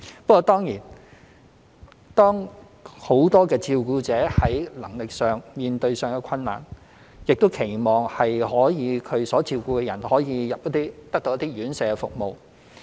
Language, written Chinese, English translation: Cantonese, 不過當然，當很多照顧者在能力上面對困難，亦期望他所照顧的人可得到院舍照顧服務。, But of course when many carers find that they have encountered difficulties in their abilities they would hope that the persons under their care can receive residential care services